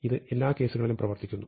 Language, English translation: Malayalam, This works in all cases